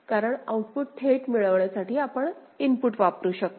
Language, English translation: Marathi, Let us see, because we can use the input to get the output directly